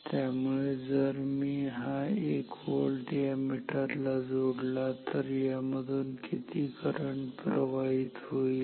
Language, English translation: Marathi, So, if I apply 1 volt across this meter, then how much current will flow